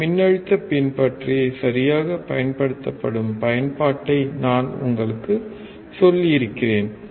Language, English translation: Tamil, Then I have told you the application where exactly this voltage follower is used